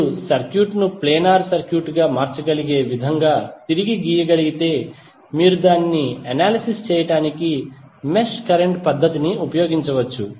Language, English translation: Telugu, But if you can redraw the circuit in such a way that it can become a planar circuit then you can use the mesh current method to analyse it